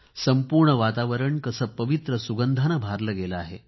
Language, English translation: Marathi, The whole environment is filled with sacred fragrance